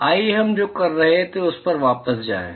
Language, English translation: Hindi, Let us get back to what we are doing